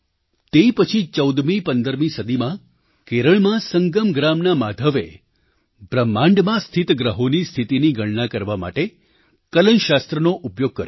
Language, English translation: Gujarati, Later, in the fourteenth or fifteenth century, Maadhav of Sangam village in Kerala, used calculus to calculate the position of planets in the universe